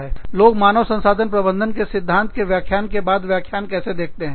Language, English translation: Hindi, You are seeing through, lecture after lecture, of principles of human resource management